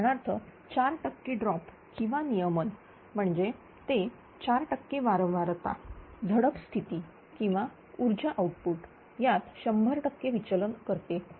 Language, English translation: Marathi, For example a 4 percent droop or regulation means that a 4 percent frequency deviation causes 100 percent change in valve position or power output right